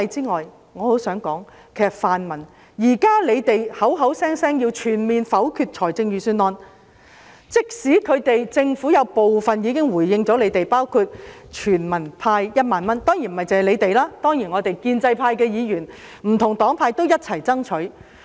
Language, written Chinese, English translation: Cantonese, 我很想對泛民議員說，你們現時口口聲聲要全面否決預算案，但政府已經作出部分回應，包括全民派發1萬元，當然這也是建制派議員、不同政黨一起爭取的。, I really want to tell the pan - democrats that you keep saying the whole Budget should be negatived but the Government has already responded to some of your demands including a universal handout of 10,000 . Of course this is the fruit of the efforts made by the pro - establishment camp and different political parties